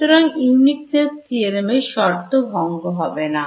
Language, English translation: Bengali, So, uniqueness theorem does not get violated